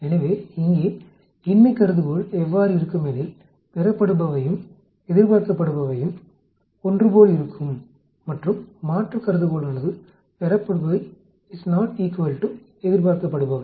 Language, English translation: Tamil, So, here the null hypothesis will be observed will be same as expected and the alternate hypothesis will be observed is not equal to expected